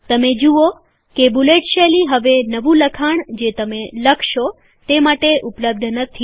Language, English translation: Gujarati, You see that the bullet style is no longer available for the new text which you will type